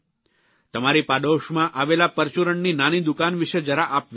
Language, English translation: Gujarati, Think about the small retail store in your neighbourhood